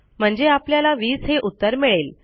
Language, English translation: Marathi, Okay, so that will be 20